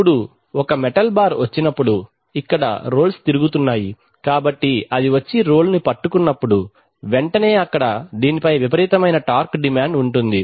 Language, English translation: Telugu, Now the, now when a metal bar comes and the here are the roles rotating so when it comes and grips, grips the role immediately there is a tremendous torque demand which comes on this